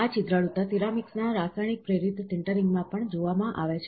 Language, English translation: Gujarati, This porosity is also seen in chemically induced sintering of ceramics